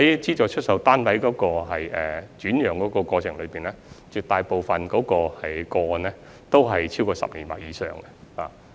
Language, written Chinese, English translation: Cantonese, 資助出售單位的轉讓，絕大部分個案都超過10年或以上。, The vast majority of the SSFs were resold more than 10 years after first assignment